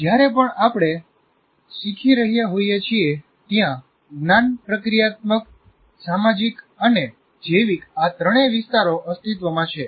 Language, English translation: Gujarati, So whenever we are learning, there are all the three dimensions exist, cognitive, social and biological